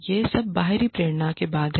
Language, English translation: Hindi, This is after all external motivation